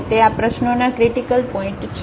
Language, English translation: Gujarati, So, these are the critical points